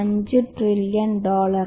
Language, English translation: Malayalam, 5 trillion dollars